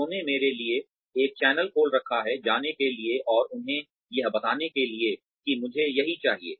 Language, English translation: Hindi, They have kept a channel open for me, to go and tell them that, this is what I want